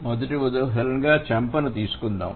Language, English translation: Telugu, So, the first example let's take is cheek